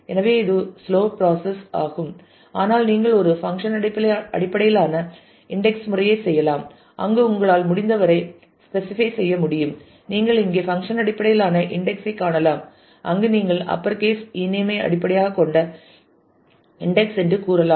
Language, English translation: Tamil, So, that will become a slow process, but you can do a function based indexing where you can specify as you can as you can see here the function based indexing where you say that you index based on upper e name